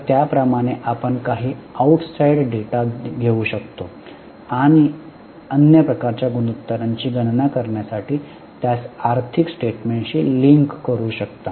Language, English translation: Marathi, So, like that, you can also take some outside data and link it to financial statements to calculate other types of ratios